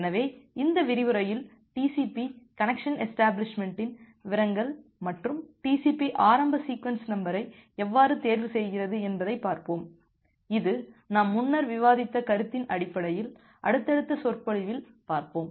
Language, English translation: Tamil, So, in this lecture we will look into the details of TCP connection establishment and how TCP chooses the initial sequence number, based on the concept that we discussed earlier and then in the subsequent lecture